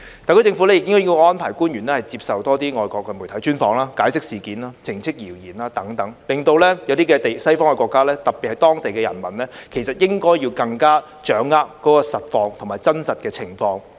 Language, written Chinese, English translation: Cantonese, 特區政府亦應該安排官員接受多些外國媒體專訪，解釋事件、澄清謠言等，令一些西方國家，特別是當地的人民，更加掌握真實的情況。, The SAR Government should also arrange more interviews with foreign media for its officials to explain the incidents concerned and clear up rumours so that some Western countries especially their local people can have a better grasp of the real situation